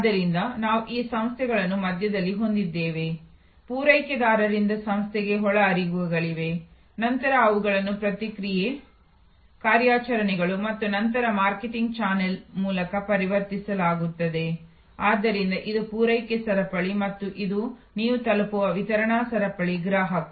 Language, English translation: Kannada, So, we have this firm the organization in the middle, there are inputs from suppliers into the organization which are then converted through process, operations and then through the marketing channel, so this is the supply chain and this is the delivery chain you reach the consumer